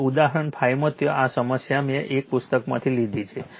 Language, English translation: Gujarati, Now, example 5 there this problem I have taken from one book